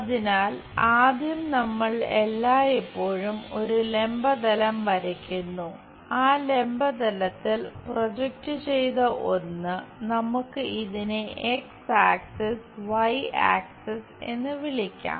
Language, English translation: Malayalam, So, the first thing always we draw a vertical plane, on this vertical plane the projected one let us call this name it X axis Y axis